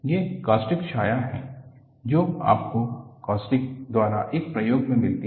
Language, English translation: Hindi, These are the caustic shadow that you get in an experiment by caustics